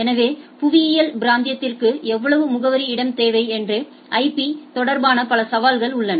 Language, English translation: Tamil, So, there are several other challenges in the IP related that how much address space for geographic region